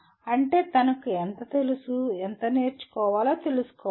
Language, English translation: Telugu, That is, one should know how much he knew and how much he has to learn